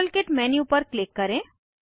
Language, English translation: Hindi, Click on modelkit menu